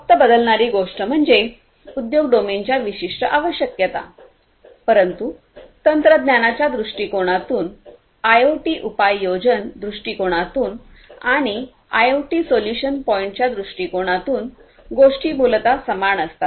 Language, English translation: Marathi, The only thing that changes is basically the industry domain specific requirements, but from a technology point of view, from an IoT deployment point of view and IoT solution point of view things are essentially the same